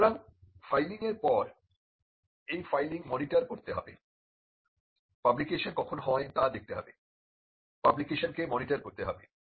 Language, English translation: Bengali, So, after the filing it has to monitor the filing, it has to take look at when the publication happens, it has to monitor the publication